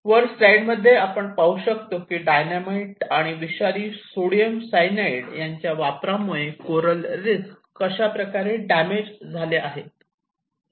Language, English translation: Marathi, With this what you can see that how the coral reefs have been damaged and because of using the Dynamites and poisoned by sodium cyanide which used for bringing in live fish